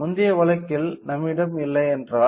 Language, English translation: Tamil, In a previous case if we do not have it